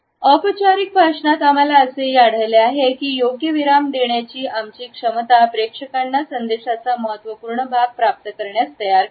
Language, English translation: Marathi, ” In formal speech also we find that it suggest our capability to introduce a right pause in such a way that it prepares the audience to receive a significant portion of message